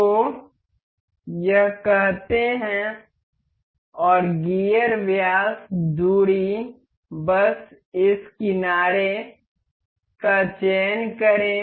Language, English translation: Hindi, So, let say this and the gear diameter distance just select this edge